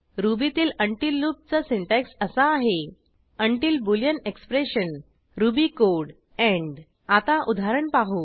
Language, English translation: Marathi, The syntax for the until loop in Ruby is until boolean expression ruby code end Let us look at an example